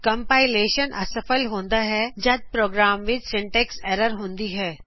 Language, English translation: Punjabi, Compilation fails when a program has syntax errors